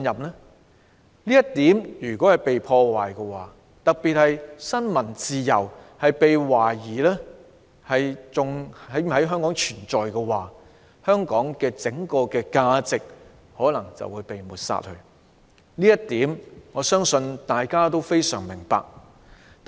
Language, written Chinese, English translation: Cantonese, 如果"一國兩制"受到破壞，特別是新聞自由一旦被懷疑是否還在香港存在的話，香港的整體價值便可能會被抹煞，這一點我相信大家都非常明白。, If one country two systems is damaged and in particular if it is open to doubt whether freedom of the press still exists in Hong Kong the value of Hong Kong as a whole may be written off . I believe Members know this full well